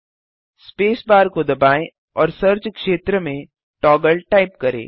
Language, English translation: Hindi, Press space bar and type Toggle in the search area